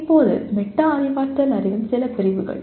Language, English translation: Tamil, Now some of the categories of metacognitive knowledge